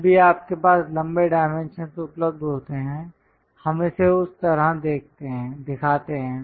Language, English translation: Hindi, Whenever you have available long dimensions, we show it like over that